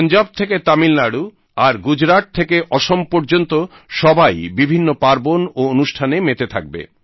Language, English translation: Bengali, From Punjab to Tamil Nadu…from Gujarat to Assam…people will celebrate various festivals